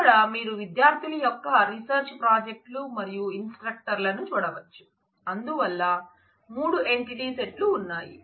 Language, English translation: Telugu, So, here we have as you can see student’s research projects and instructors, so there are 3 entity sets